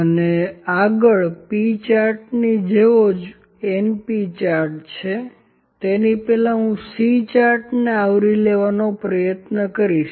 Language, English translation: Gujarati, So, next similar to p charts we have np charts before that I will try to cover the C charts